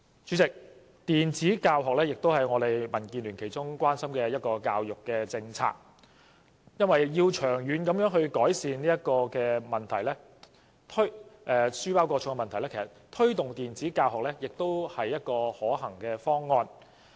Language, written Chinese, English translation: Cantonese, 主席，電子教學也是民建聯關心的一項教育政策，因為要長遠改善書包過重的問題，推動電子教學無疑是一個可行方案。, President e - teaching is also one of the education policies of concern to DAB because the promoting of e - teaching is undoubtedly a feasible option to ameliorate the problem of overweight school bags long term